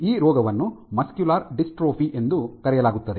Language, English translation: Kannada, So, this this disease is called muscular dystrophy